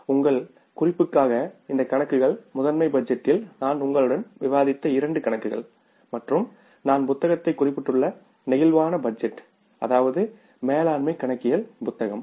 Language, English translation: Tamil, For your reference I would like to tell you that these cases, the two cases which I discussed with you in the master budget and this case which I am discussing in case of the flexible budget I have referred to the book that is management accounting